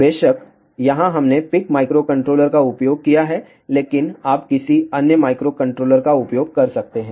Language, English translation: Hindi, Of course, here we have used pic microcontroller, but you can use any other microcontroller